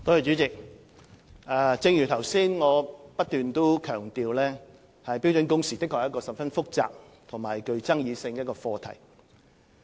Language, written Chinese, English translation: Cantonese, 主席，正如我剛才不斷強調，標準工時的確是一個十分複雜及具爭議性的課題。, President as I have repeatedly emphasized just now the issue of standard working hours is highly complicated and controversial